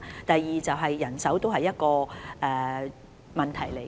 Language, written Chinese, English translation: Cantonese, 第二，人手是另一個問題。, Second manpower is another issue